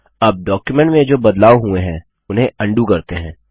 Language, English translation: Hindi, Now lets undo the change we made in the document